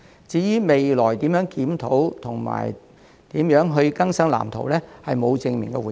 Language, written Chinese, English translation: Cantonese, 至於未來會如何檢討及更新《發展藍圖》，他則沒有正面回應。, As for how the Blueprint will be reviewed and updated in the future he did not give a direct response